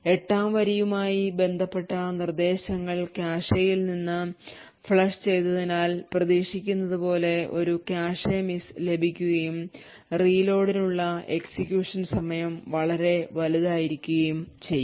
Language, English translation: Malayalam, And as we would expect since the instructions corresponding to line 8 has been flushed from the cache, we would obtain a cache miss and therefore the execution time to reload would be considerably large